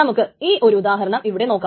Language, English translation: Malayalam, And here is an example for this